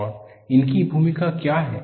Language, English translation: Hindi, And what is their role